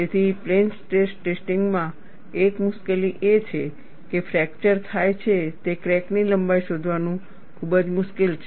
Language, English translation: Gujarati, So, one of the difficulties in plane stress testing is, it is very difficult to find out the cracked length at which fracture occurs